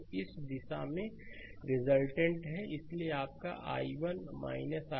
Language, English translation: Hindi, So, resultant in this direction right, so it is your i 1 i 1 minus i 3